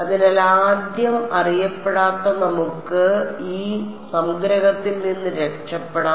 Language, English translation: Malayalam, So, first unknown let us get rid of this summation